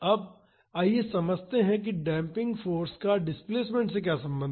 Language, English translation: Hindi, Now, let us understand, how the damping force is related to the displacement